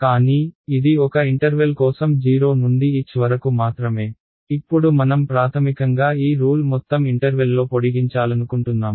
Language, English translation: Telugu, But, this was for one interval only from 0 to h; now I want to basically just extend this rule over an entire interval ok